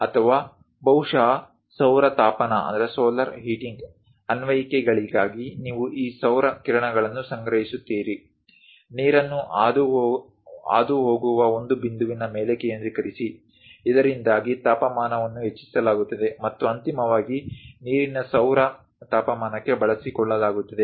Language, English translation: Kannada, Or perhaps for solar heating applications, you collect these solar beams; focus on one point through which water will be passed, so that temperature will be increased and finally utilized for solar heating of water